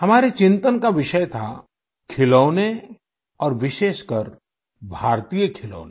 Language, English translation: Hindi, Friends, the subject that we contemplated over was toys and especially Indian toys